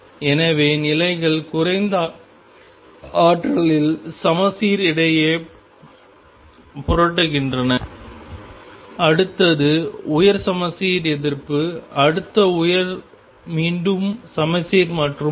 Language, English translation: Tamil, So, the states flip between symmetric in the lowest energy, next higher is anti symmetric, next higher is again symmetric and so on